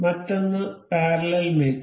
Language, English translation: Malayalam, Another thing is parallel mate